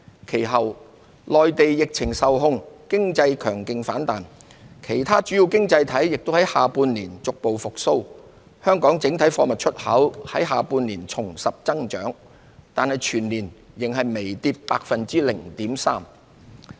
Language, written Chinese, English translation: Cantonese, 其後，內地疫情受控，經濟強勁反彈，其他主要經濟體亦在下半年逐步復蘇，香港整體貨物出口在下半年重拾增長，但全年計仍微跌 0.3%。, Later with a strong rebound in the Mainland economy after its epidemic situation was kept under control and the gradual recovery of other major economies in the second half of the year Hong Kongs total exports of goods resumed growth in the second half of the year . Yet there was still a mild decrease of 0.3 % for the year as a whole